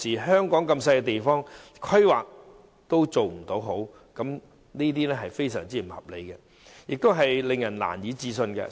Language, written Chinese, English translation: Cantonese, 香港這麼小的地方，規劃都做得不好，實在非常不合理，亦令人難以置信。, It is really very unreasonable and inconceivable that in such a small place as Hong Kong planning is so poorly formulated